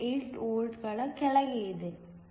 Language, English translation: Kannada, 48 electron volts